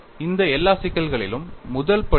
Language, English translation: Tamil, In all this problems, what is the first step